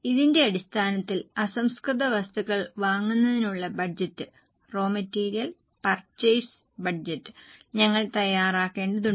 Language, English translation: Malayalam, Based on this we will have to prepare raw material purchase budget